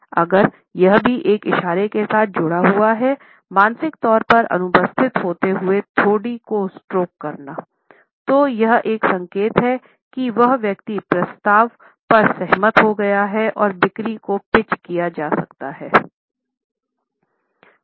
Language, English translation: Hindi, If this is also associated with a gesture of absentmindedly stroking the chin; then it is an indication that the person has agreed to the proposal and the sales can be pitched in